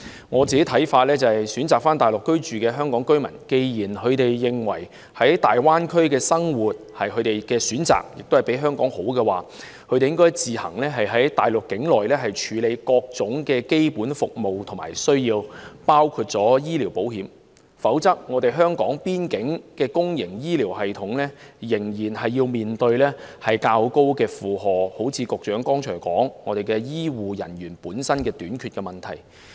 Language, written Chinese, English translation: Cantonese, 我個人的看法是，選擇返回內地居住的香港居民既然認為在大灣區生活是他們的選擇，亦較香港好時，他們應自行在內地處理各種基本服務和需要，包括醫療保險，否則港方的公營醫療系統仍然會面對較高的負荷，正如局長剛才所說，出現香港的醫護人員短缺問題。, My personal view is that given some Hong Kong residents who choose to reside in the Mainland are of the view that living in the Greater Bay Area is their choice and is better than living in Hong Kong they should deal with their basic services and needs on the Mainland including medical insurance by themselves . If not the public health care system in Hong Kong will still have a heavy burden and result in as the Secretary just said the problem of medical manpower shortage